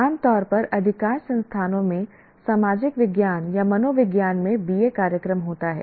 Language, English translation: Hindi, Generally, most of the institutions will have a BA program in either social sciences or psychology